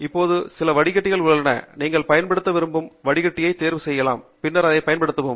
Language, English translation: Tamil, Here there are some filters in the front, which you can select what kind of a filter you want to use, and then, use it